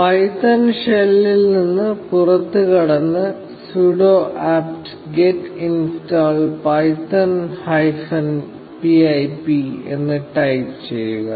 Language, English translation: Malayalam, Exit the python shell, and type ‘sudo apt get install python hyphen pip’